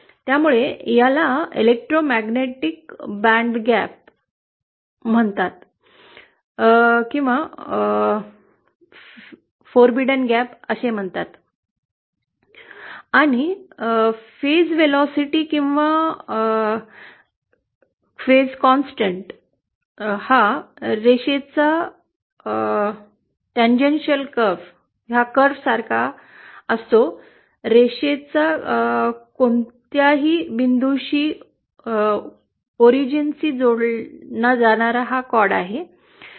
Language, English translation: Marathi, So this is called the electromagnetic bandgap which are the forbidden frequencies and the phase velocity or the velocity with which a phase, a constant phase of the wave goes, is equal to the caudal slope that is the slope of the line joining any point to the origin